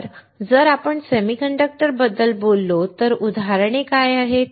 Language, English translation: Marathi, So, if you talk about the semiconductors, what are examples